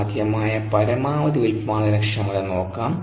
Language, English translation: Malayalam, we are interested in maximum productivity